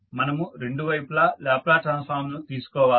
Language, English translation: Telugu, We have to take the Laplace transform on both sides